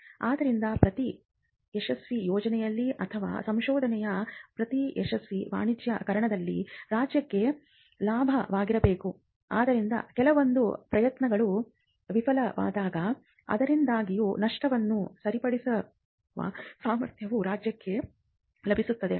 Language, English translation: Kannada, So, this is required the in every successful project or in every successful commercialization of research if there is a contribution that is made back to the state, then the state will be able to cover its losses whenever some of its endeavors fail